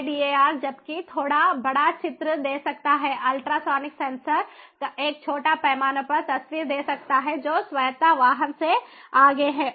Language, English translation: Hindi, lidar can give a bit bigger picture, whereas ultrasonic sensors can give a small scale picture of what is ahead of the autonomous vehicle